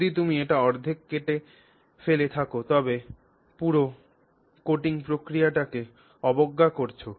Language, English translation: Bengali, If you cut it in half, you are actually negating the whole coating process